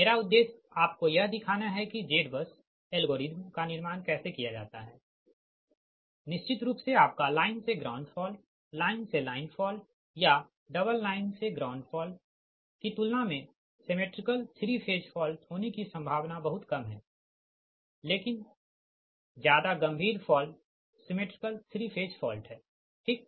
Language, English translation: Hindi, my objective here is to show you that how to construct the z bus algorithm right and certain in this case, that in a reality, that symmetrical three phase fault, its probability of happening, is very, very less right compared to that your line to ground fault, your line to line fault or double line to ground fault, right, but more severe fault is symmetrical three phase fault, right